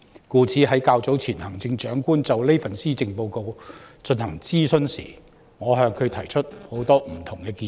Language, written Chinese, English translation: Cantonese, 故此，較早前行政長官就這份施政報告進行諮詢時，我向她提出許多不同建議。, Therefore when the Chief Executive was holding consultation on the Policy Address earlier I made many different recommendations to her